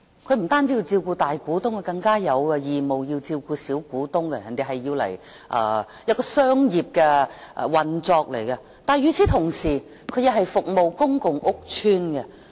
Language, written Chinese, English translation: Cantonese, 它不單要照顧大股東，更有義務要照顧小股東，是商業運作，但與此同時，它也為公共屋邨服務。, Not only does it have to take care of the majority shareholders it is also obligated to look after the minority shareholders . It is a commercial operation . At the same time however it serves the public housing estates